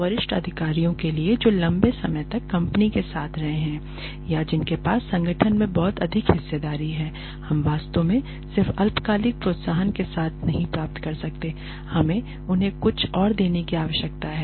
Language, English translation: Hindi, For senior executives who have been with the company for a longer period or who have a much higher stake in the organization we cannot really get by with just short term incentives we need to give them something more